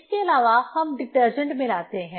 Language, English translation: Hindi, Also we add detergent